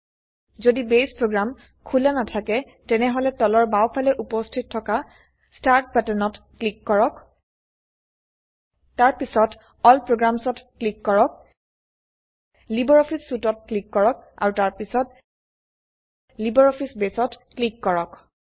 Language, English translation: Assamese, If Base program is not opened, then we will click on the Start button at the bottom left,and then click on All programs, then click on LibreOffice Suite and then click on LibreOffice Base